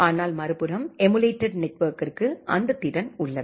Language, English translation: Tamil, But on the other hand the emulated network has that capacity